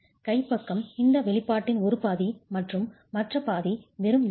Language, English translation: Tamil, That's one half of the expression and the other half is just the steel